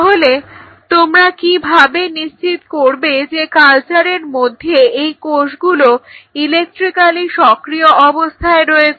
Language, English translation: Bengali, So, how you ensured that these cells are electrically active in the culture